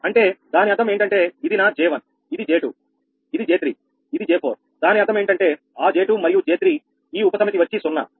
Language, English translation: Telugu, so that means that this is my j one, this is j two, this is j three, this is j four